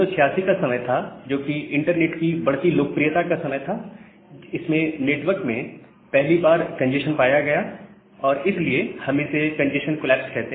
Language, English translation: Hindi, So, in 1986, this growing popularity of internet it led to the first occurrence of congestion in the network, so we call it as the congestion collapse